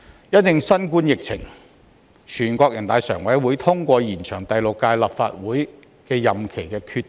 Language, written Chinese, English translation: Cantonese, 因應新冠疫情，全國人民代表大會常務委員會通過延長第六屆立法會任期的決定。, This was strongly condemned by public opinions . Due to COVID - 19 the Standing Committee of the National Peoples Congress passed a decision to extend the term of office of the Sixth Legislative Council